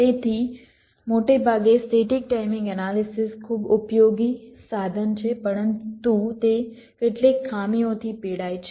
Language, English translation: Gujarati, so broadly speaking, the static timing analysis is a very useful tool, but it suffers from a couple of drawbacks